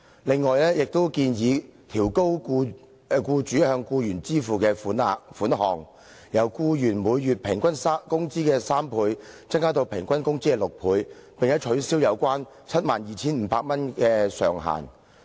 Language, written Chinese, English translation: Cantonese, 另外，張議員還建議調高僱主須向僱員支付的額外款項，由僱員每月平均工資的3倍，增至平均工資的6倍，並且取消 72,500 元的上限。, Besides Dr CHEUNG also proposes to increase the further sum payable by the employer to the employee from three times to six times the employees average monthly wages and abolish the ceiling of 72,500